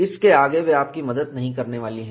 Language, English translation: Hindi, Beyond that, they are not going to help you